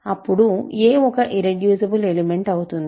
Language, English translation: Telugu, So, it is an irreducible element